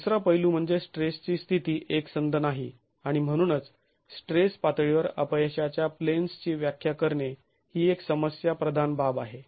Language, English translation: Marathi, The other aspect is the state of stress is non homogeneous and therefore defining failure planes at the level of stress is a problematic affair